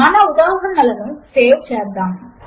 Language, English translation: Telugu, Let us save our examples